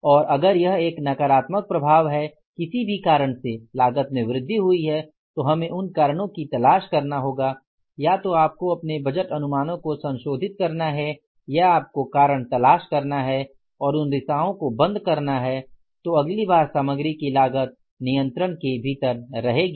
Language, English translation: Hindi, And if it is a negative effect that because of any reason the cost has increased we will have to look for the reasons either you have to revise the budget estimates or you have to look for the reasons and take care of those, plug the leakages so then next time the cost of material is within the control